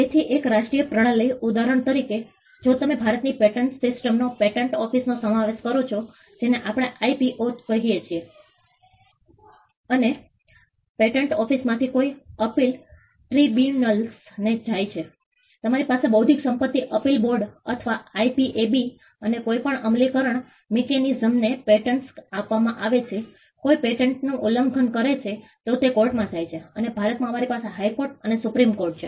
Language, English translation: Gujarati, So, a national system, for instance, if you take the India’s patent system comprises of the patent office what we call the IPO and any appeal from the patent office goes to the tribunals; we have the Intellectual Property Appellate Board or the IPAB and any enforcement mechanism, the patent is granted somebody is infringing the patent goes to the courts and in India we have the High Court and the Supreme Courts